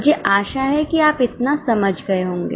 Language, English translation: Hindi, I hope you have understood this much